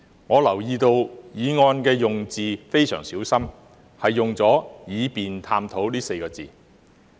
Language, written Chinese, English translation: Cantonese, 我留意到議案的用字非常小心，用了"以便探討"這4個字。, I notice that the motion is very carefully worded using the four words so as to explore